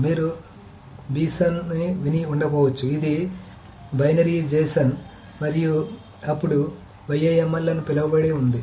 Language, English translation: Telugu, You may not have heard this on, this is a binary JSON, and then there is something called YAML